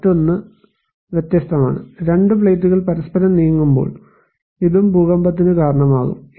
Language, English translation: Malayalam, And another one is the divergent one, when two plates are moving apart, this can also cause earthquake